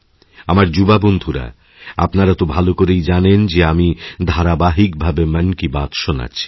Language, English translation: Bengali, My young friends, you know very well that I regularly do my 'Mann Ki Baat'